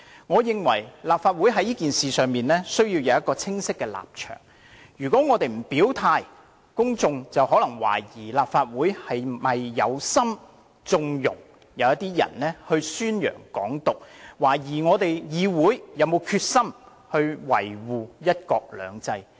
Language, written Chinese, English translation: Cantonese, 我認為立法會在此事上需要有清晰的立場，如果我們不表態，公眾可能會懷疑立法會是否有意縱容某些人宣揚"港獨"，懷疑議會並無決心維護"一國兩制"。, In my view the Legislative Council needs to have a clear stance on this matter . If we do not state our stance the public may suspect whether the Legislative Council deliberately connives at the advocacy of Hong Kong independence by certain people and doubt the determination of the Council in upholding one country two systems